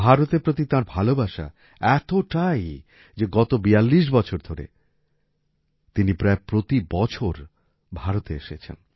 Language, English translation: Bengali, He has so much affection for India, that in the last 42 forty two years he has come to India almost every year